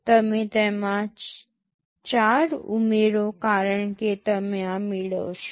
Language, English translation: Gujarati, You add 4 to it because you will be fetching this